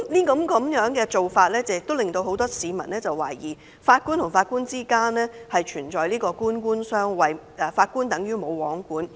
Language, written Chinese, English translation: Cantonese, 這做法令很多市民懷疑法官與法官之間存在官官相衞，法官等於"無皇管"。, This response has prompted many people to query if Judges are being protective of their peers which left Judges subject to no supervision